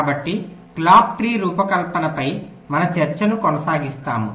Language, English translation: Telugu, so we continue with our discussion on clock tree design